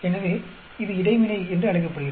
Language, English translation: Tamil, So, that is called Interaction